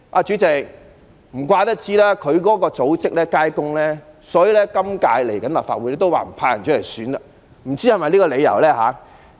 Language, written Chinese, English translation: Cantonese, 主席，他的組織街坊工友服務處不會派出代表參選下屆立法會，不知是否因為這個理由呢？, President his political group the Neighbourhood and Workers Service Centre will not send any representative to run for the Legislative Council election and I am not sure whether it is due to this reason